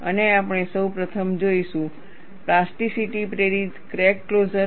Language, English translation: Gujarati, And, we will first see, plasticity induced crack closure